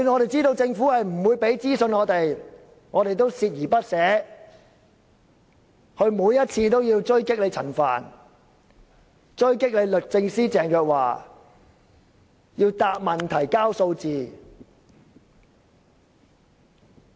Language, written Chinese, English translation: Cantonese, 即使知道政府不會提供資訊，我們也鍥而不捨，每次都要追擊陳帆和律政司司長鄭若驊，要求他們回答問題、提交數字。, Though fully aware that the Government would provide no information we have never given up and have tried to follow up with Frank CHAN and Secretary for Justice Teresa CHENG on every occasion urging them to answer questions and provide figures